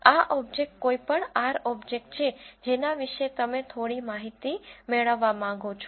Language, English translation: Gujarati, This object is an any R object about which you want to have some information